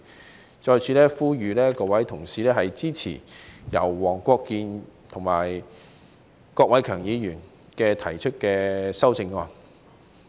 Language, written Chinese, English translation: Cantonese, 我再次呼籲各位同事支持黃國健議員和郭偉强議員提出的修正案。, I once again call on the Honourable colleagues to support the amendments proposed by Mr WONG Kwok - kin and Mr KWOK Wai - keung